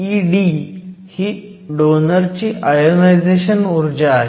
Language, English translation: Marathi, So, E d is the ionization energy of the donor